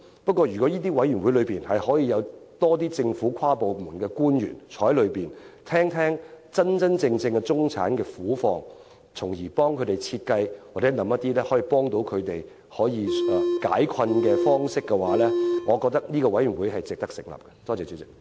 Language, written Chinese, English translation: Cantonese, 不過，如果委員會內能有更多政府跨部門官員，聆聽真正的中產人士苦況，從而設計和思考一些幫助他們解困的方式，我認為這個委員會是值得成立的。, That said I consider it worthy of establishing such a commission if it comprises officials from different government departments who will listen to the plight of those truly from the middle class so as to design and identify solutions to cope with their difficulties